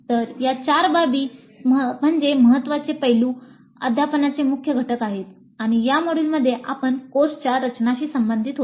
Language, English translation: Marathi, So these four aspects are the key aspects, key components of teaching and in this we were concerned with design of course in this module